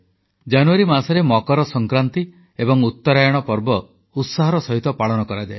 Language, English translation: Odia, Makar Sankraanti and UttaraayaN is celebrated with great fervour in the month of January